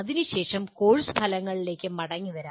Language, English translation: Malayalam, Then come the course outcomes